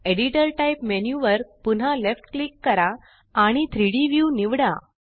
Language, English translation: Marathi, Left click on the editor type menu again and select 3D view